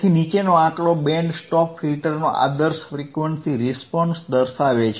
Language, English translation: Gujarati, So, the figure below shows the ideal frequency response of a Band Stop Filter